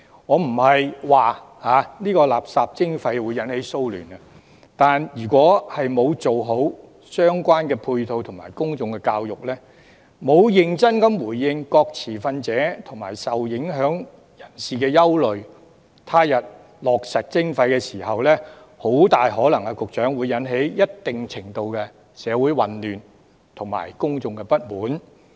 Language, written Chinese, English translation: Cantonese, 我不是說垃圾徵費會引發騷亂，但如果沒有做好相關配套及公眾教育，沒有認真回應各持份者及受影響人士的憂慮，他日落實徵費時，局長，很大可能會引起一定程度的社會混亂及公眾不滿。, I am not saying that the waste charging scheme will cause riots but if the relevant supporting measures and public education are not properly carried out and the concerns of various stakeholders and the people affected are not seriously addressed Secretary it is highly likely that the implementation of waste charging in the future will result in considerable confusion in society and discontent among members of the public